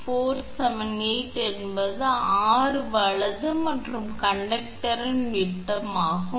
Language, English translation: Tamil, 479 and it is the diameter of the conductor